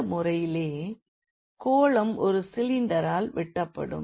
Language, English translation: Tamil, So, in this case the sphere was cut by the cylinder